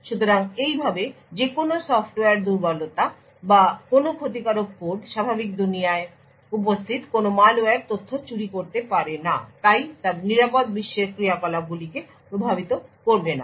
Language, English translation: Bengali, So, thus any software vulnerability or any malicious code any malware present in the normal world cannot steal information ok not affect the secure world operations